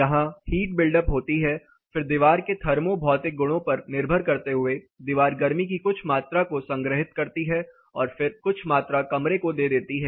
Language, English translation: Hindi, So, there is a heat buildup here, then depending on the thermo physical properties of the wall; the wall is going to store some amount of heat and then pass some amount of heat into the room